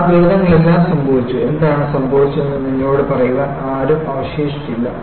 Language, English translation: Malayalam, All those disasters are happened, where there are no one will remain to tell you what happened